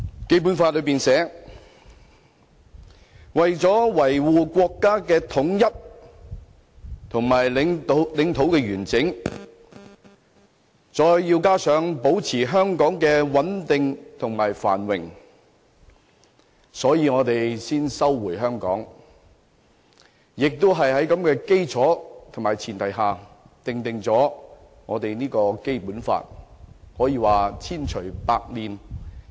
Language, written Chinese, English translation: Cantonese, 《基本法》序言寫道，"為了維護國家的統一和領土完整"，加上"保持香港的繁榮和穩定"，故此，中國才收回香港，更是在這種基礎和前提下才訂定了《基本法》，可說是千錘百煉。, China took back Hong Kong purely in the cause of as written in the Preamble to the Basic Law Upholding national unity and territorial integrity while maintaining the prosperity and stability of Hong Kong . Enacted on this basis and premise the Basic Law is really well - thought - out